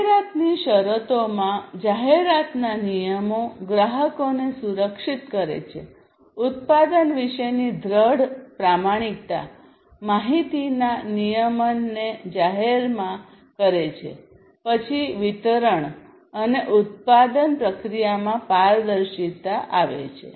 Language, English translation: Gujarati, In terms of advertisement – advertisement regulations protect customers, firm honesty about a product, information regulation publicly, then transparency on distribution and manufacturing process